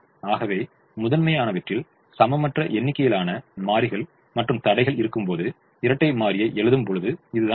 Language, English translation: Tamil, so this is how we will write the dual when we have unequal number of variables and constraints in the primal